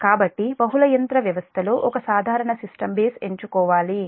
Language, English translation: Telugu, so in a multi machine system, a common system base must be selected